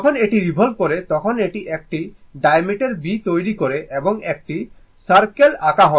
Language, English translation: Bengali, When it is revolving, it is making a diameter your B and this is a circle, circle is drawn, right